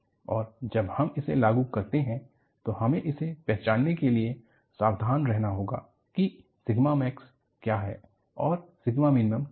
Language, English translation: Hindi, And, when I apply this, I have to be careful in identifying, what sigma max is and what sigma minimum is